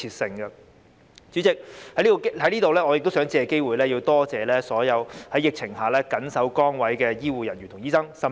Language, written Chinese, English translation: Cantonese, 代理主席，我想藉此機會感謝所有在疫情下緊守崗位的醫護人員和醫生。, Deputy President I wish to take this opportunity to thank all healthcare workers and doctors who have faithfully performed their duties during the epidemic